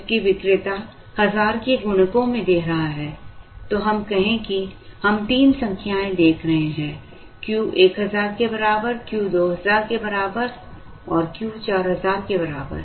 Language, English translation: Hindi, Whereas, the vendor is giving in multiples of 1000 let us say then we are looking at say three numbers, Q equal to 1000, Q equal to 2000, let us say Q equal to 4000